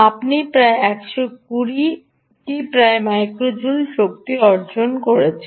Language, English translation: Bengali, you are getting about maximum of about hundred and twenty micro joules of energy